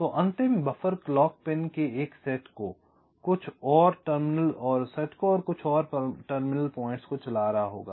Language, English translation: Hindi, so the last buffer will be driving, driving a set of clock pins, clock terminals